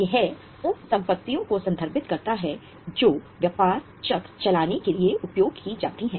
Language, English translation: Hindi, It refers to those assets which are used for running the business cycle